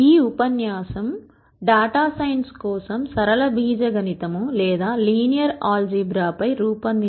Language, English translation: Telugu, This lecture is on linear algebra for data science